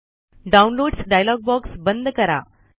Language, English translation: Marathi, Close the Downloads dialog box